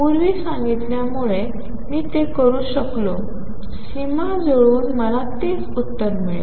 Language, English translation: Marathi, I could do it as I said earlier by matching the boundaries I will get the same answer